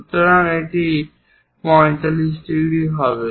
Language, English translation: Bengali, So, this is 45 degrees